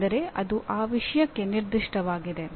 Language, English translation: Kannada, That means specific to that subject